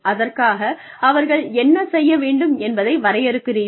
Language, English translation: Tamil, You are defining, what they need to do